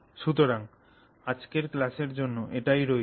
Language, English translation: Bengali, So, that's our class for today